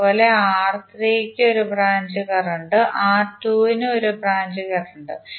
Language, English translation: Malayalam, Similarly, 1 branch current for R3 and 1 branch current for R2